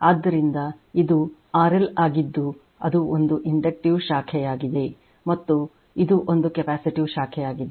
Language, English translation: Kannada, So, youryour this is RLR L over L that is one inductive branch and this is one capacitive branch right